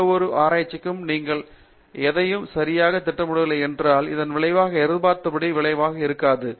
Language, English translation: Tamil, In any research, if you donÕt plan anything properly ultimately, the result is not going to be as expected